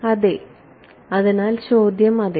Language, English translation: Malayalam, So, the question is yeah